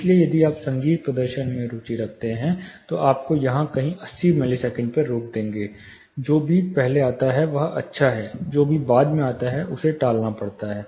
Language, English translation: Hindi, So, if you are interested in musical performance, you will probably as I said stop at 80 milliseconds somewhere here, whatever comes before is good, whatever comes later has to be avoided